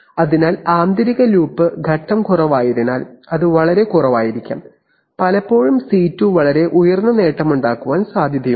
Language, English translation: Malayalam, So since inner loop phase is low, much lower it may be, it is often possible that C2 can be very high gain